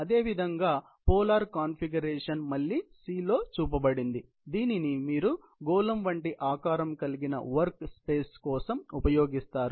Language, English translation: Telugu, We have similarly, polar configuration as the name suggests, shown in C again, where you have a work space of spherical shape